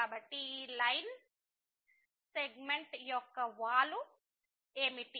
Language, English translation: Telugu, So, what is the slope of this line segment